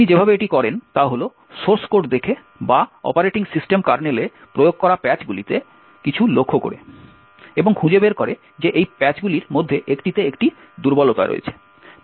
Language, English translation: Bengali, The way he do to this is by looking at the source code or by noticing something in the patches that get applied to the operating system kernel and find out that there is a vulnerability in one of these patches or the patches actually fix a specific vulnerability